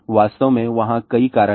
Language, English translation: Hindi, In fact, there are multiple reasons are there